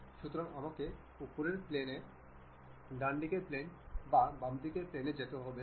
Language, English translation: Bengali, So, I do not have to really jump on to top plane, right plane and front plane